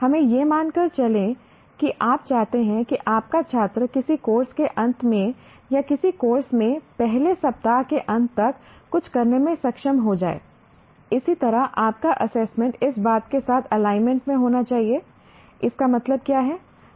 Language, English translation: Hindi, Let us assume that you want your student to be able to do something at the end of a course or at the end of a, let's say by the end of first week in a course and so on, your assessment should be in alignment with that